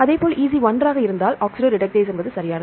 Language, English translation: Tamil, If it is EC 1 is oxidoreductase right